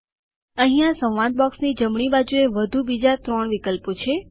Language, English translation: Gujarati, There are three more options on the right hand side of the dialog box